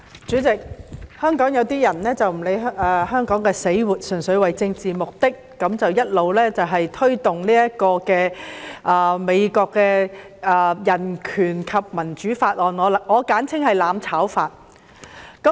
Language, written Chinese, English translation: Cantonese, 主席，香港有些人不理香港死活，純粹為政治目的一直推動美國的《香港法案》，我簡稱為"攬炒法"。, President some people in Hong Kong have long been promoting the United States Hong Kong Act which I call the mutual destruction act for short purely for political purposes paying no heed to the very survival of Hong Kong